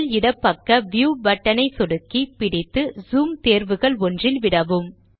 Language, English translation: Tamil, Click the View button on the top left hand side, hold and choose one of the zoom options